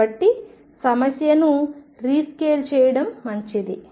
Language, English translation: Telugu, So, is good idea to rescale the problem